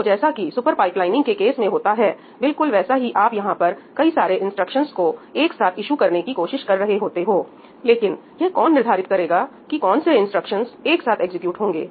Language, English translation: Hindi, So, what happens here is that just as in the case of super pipelining you were trying to issue multiple instructions together, but who was determining which instructions can be executed together All of that was being done by the processor at runtime, right